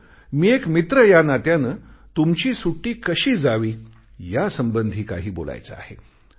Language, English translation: Marathi, But as a friend, I want to suggest you certain tips about of how to utilize your vacation